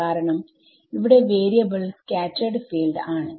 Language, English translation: Malayalam, So, this is the main advantage of scattered field